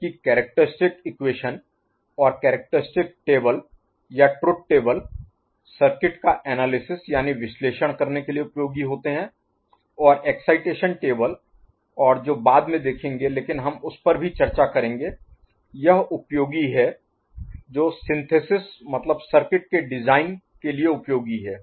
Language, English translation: Hindi, While characteristic equation and characteristic table or truth table are useful for analysing the circuit, excitation table and the one that is to follow, we shall discuss that also, that is useful, that are useful for synthesis design of circuits